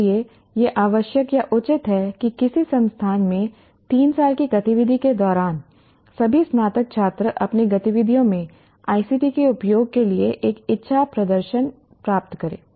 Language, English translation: Hindi, So it is only fair to require or demand that all graduate students during their three years of activity at an institute should also get a decent exposure to the use of ICT in their own activities